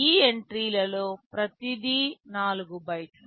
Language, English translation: Telugu, Each of these entries is 4 bytes